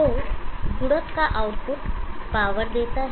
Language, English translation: Hindi, So output of the multiplier gives the power